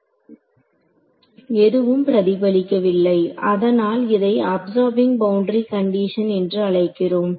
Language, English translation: Tamil, Nothing is reflecting back therefore, it is called absorbing boundary condition right